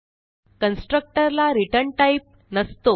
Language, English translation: Marathi, Constructor does not have a return type